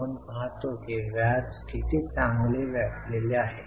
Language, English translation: Marathi, We see how better the interest is covered